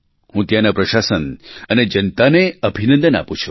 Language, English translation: Gujarati, I congratulate the administration and the populace there